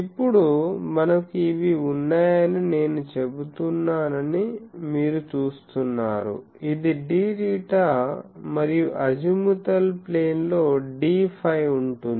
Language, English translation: Telugu, You see that I am saying that we have these now, this is d theta and in the azimuthal plane there will be d phi